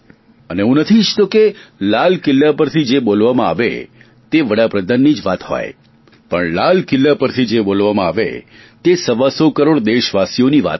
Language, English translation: Gujarati, I do not wish that whatever I speak from the ramparts of Red Fort should just be the opinion of the Prime Minister; it should be the collective voice of 125 crores countrymen